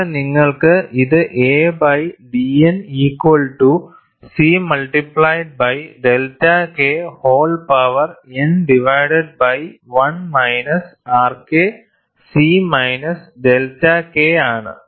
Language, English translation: Malayalam, Here you have this as d a by d N equal to C into delta K whole power n divided by 1 minus R K c minus delta K